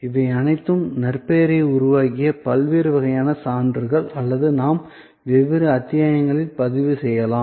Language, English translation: Tamil, These are all different types of testimonial that built reputation or we can record different episodes